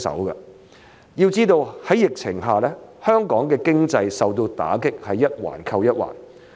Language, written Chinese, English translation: Cantonese, 要知道，在疫情下香港經濟所受的打擊是一環扣一環的。, We have to understand that the blows dealt to Hong Kongs economy by the pandemic are each a link in a casual chain